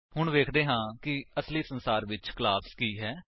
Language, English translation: Punjabi, Now let us see what is a class in real world